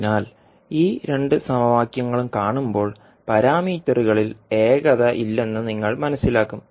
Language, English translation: Malayalam, So, when you see these two equations you will come to know that there is no uniformity in the parameters